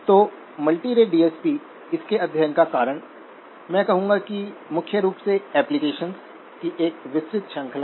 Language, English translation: Hindi, So multirate DSP, the reason for its study, I would say is primarily the wide range of applications